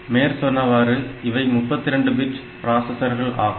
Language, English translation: Tamil, So, its a 32 bit processor